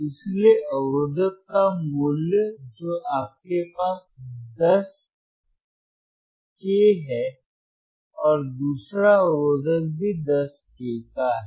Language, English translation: Hindi, So, what is the value of resistor that you have is 10 k 10 k and the another resistor is